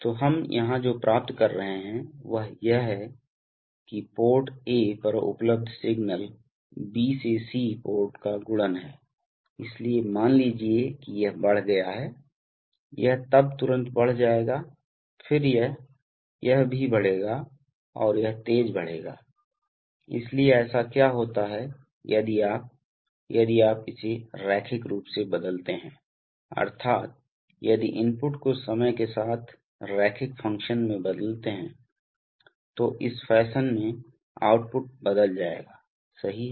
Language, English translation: Hindi, So what we are achieving here is that, the, see, the signal available at the A port is a multiplication of B to C port, so suppose this is, this is increased, so immediately this will increase then, then this will, this will also increase and therefore this will increase sharper, so what happens is that, if you, if you change this linearly, that is, if the, if the input is changed in a linear fashion over time then the output will change in this fashion, right